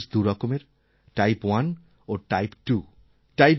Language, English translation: Bengali, Diabetes is of two types Type 1 and Type 2